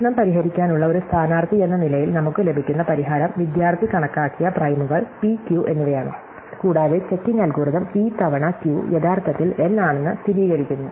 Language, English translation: Malayalam, The solution that we get as a candidate to solve the problem is the pair of primes p and q that the student has calculated and the checking algorithm involves verifying that p times q is actually N